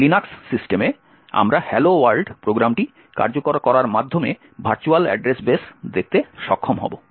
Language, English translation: Bengali, On a Linux system, we would be able to look at the virtual address base by the hello world program is executing